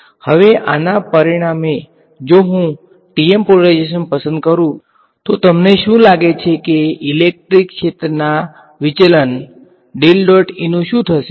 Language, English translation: Gujarati, Now, as a result of this if I choose the TM polarization what do you think will happen of del dot E, the divergence of the electric field